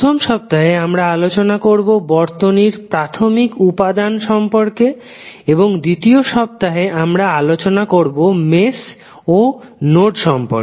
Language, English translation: Bengali, First week, we will go with the basic circuit elements and waveforms and week 2 we will devote on mesh and node analysis